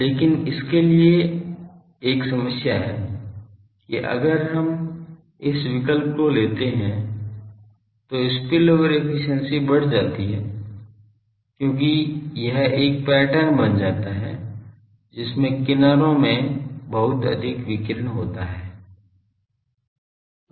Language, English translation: Hindi, But the problem for this is if we take this choice then the spillover efficiency gets increased because that becomes a pattern which has much more radiation in the edges